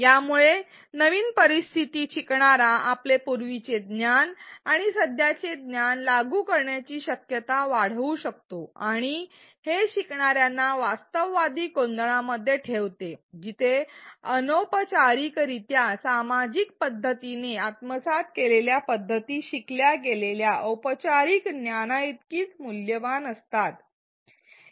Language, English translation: Marathi, It can increase the likelihood that the learner applies their prior knowledge and the current knowledge in a new situation and it places the learners in realistic settings where the informal socially acquired ways of learning are as valued as the formal knowledge that they learn